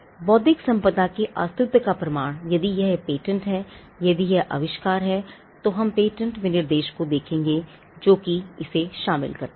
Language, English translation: Hindi, Now so, the proof of the existence of intellectual property if it is a patent if it is an invention, then we would look at the patent specification, the document that encompasses it